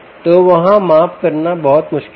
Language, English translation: Hindi, so its very difficult to measure there